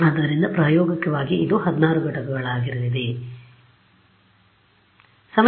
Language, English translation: Kannada, So, in practice it is going to be 16 units right